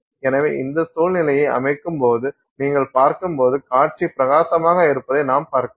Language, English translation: Tamil, So, when you set up this situation, when you look at the display, you see the display as bright